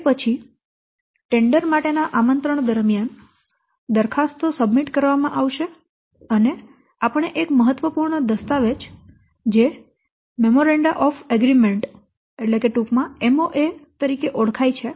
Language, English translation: Gujarati, Then during this what invitation to tender proposals will be submitted and we have to what no one important document called as memoranda of agreement or in short we call as MOA